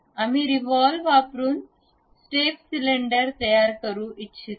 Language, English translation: Marathi, We would like to construct a step cylinder using revolve